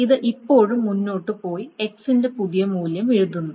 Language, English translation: Malayalam, It still goes ahead and writes a new value of X to it